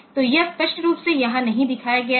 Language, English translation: Hindi, So, that is not shown here explicitly